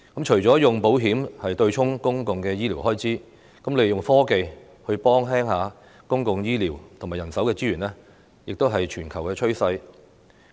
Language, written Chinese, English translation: Cantonese, 除了以保險對沖公共的醫療開支，利用科技來減輕公共醫療及人手資源負擔，亦是全球趨勢。, Apart from offsetting public health care expenditures with insurance it is also a global trend to use technology to relieve the burden on public health care and manpower resources